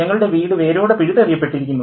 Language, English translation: Malayalam, We have been destroyed, our home has been uprooted